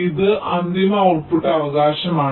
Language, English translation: Malayalam, this is the final output right now